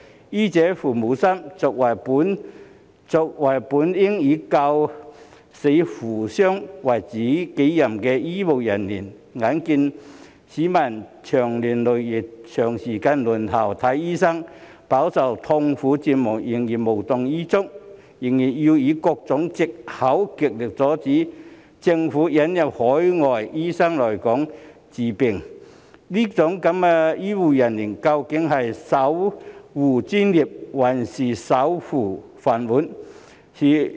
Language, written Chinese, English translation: Cantonese, 醫者父母心，作為本應以救死扶傷為己任的醫護人員，眼見市民長年累月地長時間輪候看醫生，飽受痛苦折磨仍然無動於衷，仍然要以各種藉口極力阻止政府引入海外醫生來港治病，這樣的醫護人員，究竟是守護專業，還是守護飯碗？, A doctor should care for patients like a parent; as healthcare personnel who should be responsible for helping those in distress they realize the prolonged wait by the public for medical consultation and that the public are suffering and in anguish; yet they simply show their indifference . They still use various excuses to prevent the Governments admission of overseas doctors to serve in Hong Kong . Are such healthcare personnel defending their profession or securing their jobs?